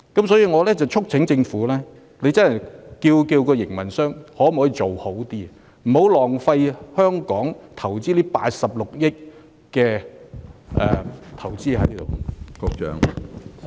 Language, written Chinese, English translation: Cantonese, 所以，我促請政府要求營運商作出改善，不要浪費香港投資在郵輪碼頭的82億元。, Thus I urge the Government to demand the terminal operator to make improvements and not to waste the 8.2 billion investment by Hong Kong in KTCT